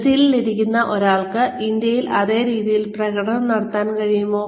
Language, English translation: Malayalam, And, will a person sitting in Brazil, be able to perform, in the exact same manner in India